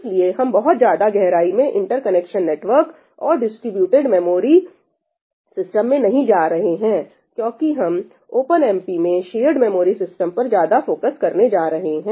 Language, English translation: Hindi, So, we would not get a whole lot deeper into interconnection networks or distributed memory systems, because we are going to focus more on shared memory systems and openMP, right